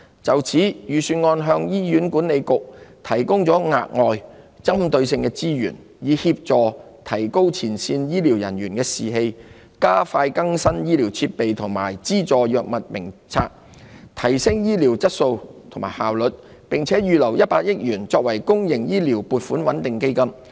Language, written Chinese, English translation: Cantonese, 就此，預算案向醫院管理局提供額外、針對性的資源，以協助提高前線醫療人員的士氣，加快更新醫療設備，以及資助藥物名冊，從而提升醫療質素及效率，並預留100億元作為公營醫療撥款穩定基金。, For that reason additional and targeted resources have been provided in the Budget for the Hospital Authority HA to help boost the morale of frontline medical staff expedite the upgrade of medical equipment and subsidize the drugs listed on the Drug Formulary in a bid to enhance the quality and efficiency of health care . A sum of 10 billion has also been earmarked for setting up a public healthcare stabilization fund